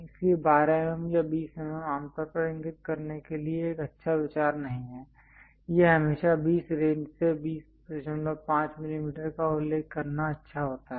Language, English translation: Hindi, So, 12 mm or 20 mm usually is not a good idea to indicate, its always good to mention 20 ranges to 20